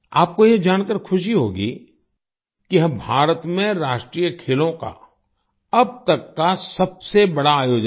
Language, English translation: Hindi, You will be happy to know that the National Games this time was the biggest ever organized in India